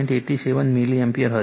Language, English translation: Gujarati, 87 degree milliAmpere right